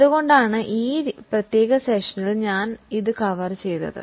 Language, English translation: Malayalam, That's why I have covered it in this particular session